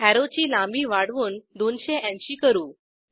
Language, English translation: Marathi, I will increase the arrow length to 280